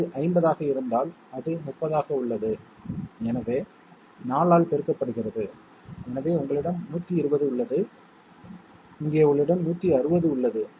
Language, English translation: Tamil, If it is 50, it is 30, so multiplied by 4 and therefore you have 120 here and here you have 160